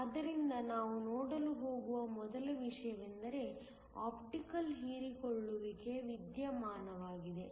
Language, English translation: Kannada, So, the first thing we are going to look at is the phenomenon of Optical absorption